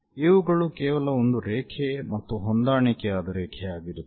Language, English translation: Kannada, These line will be just a line and again coincidental line